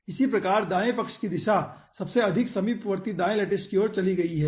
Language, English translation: Hindi, similarly, right hand side direction has moved to immediate right most lattice